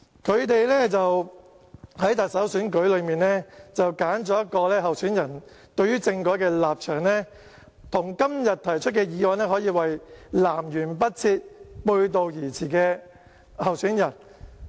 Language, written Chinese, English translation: Cantonese, 他們在特首選舉裏揀選的候選人對政改的立場，跟今天提出的議案可以說是南轅北轍、背道而馳。, For the candidate that they have chosen in the Chief Executive Election his stance towards constitutional reform is completely contrary to the motion proposed today